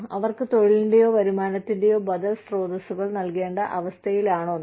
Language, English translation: Malayalam, Are we in a position, to give them, alternative sources of employment or income